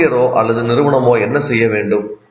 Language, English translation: Tamil, What should the teacher or the institution do